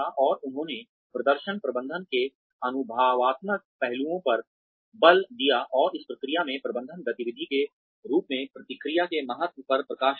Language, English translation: Hindi, And they, who emphasized the experiential aspects of performance management, and highlighted the importance of feedback, as a management activity, in this process